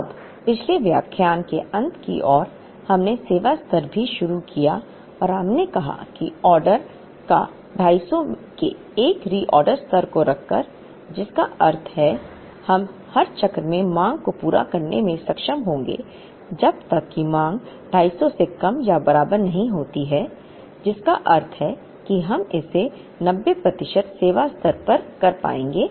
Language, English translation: Hindi, Now, towards the end of the last lecture, we also introduced the service level and we said that by ordering by keeping a reorder level of 250, which means we will be able to meet the demand in every cycle as long as the demand is less than or equal to 250, which means we will be able to do it at a 90 percent service level